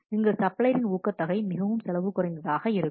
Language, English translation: Tamil, So, there is a very lack of incentives for the suppliers to be cost effective